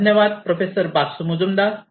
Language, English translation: Marathi, Thank you, Professor Basu Majumder